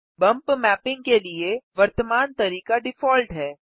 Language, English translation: Hindi, Default is the current method of bump mapping